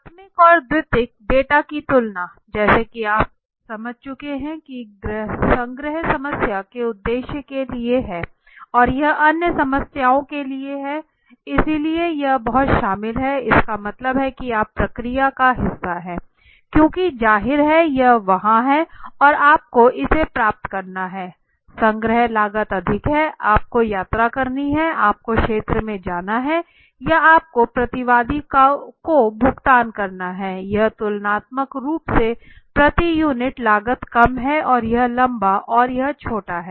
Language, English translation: Hindi, A comparison the primary and the secondary data so as you had understood the collection is for the problem at hand purpose and this is for other problems right, so this is very involved that means you are part of the process it is easy because obviously it is there somewhere and you just have to get it, collection cost is obviously high you have to travel you have to go to the field or you have to pay the respondent this is comparatively low per unit cost right and this is long and this short